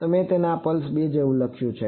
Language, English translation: Gujarati, So, I wrote it like this pulse 2